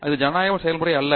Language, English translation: Tamil, So, it is not a democratic process